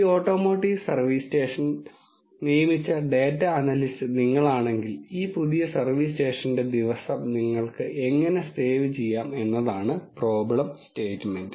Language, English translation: Malayalam, If you are the data analyst which is hired by this automotive service station person, how can you save the day for this new service station is the problem statement